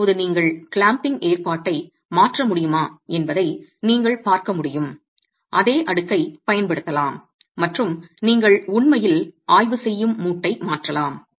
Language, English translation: Tamil, Now, as you can see, if you can change the clamping arrangement, you can use the same stack and keep shifting the joint that you are actually examining